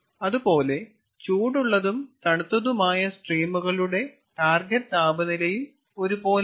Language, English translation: Malayalam, similarly, the target temperatures are also not same for the hot streams and the cold streams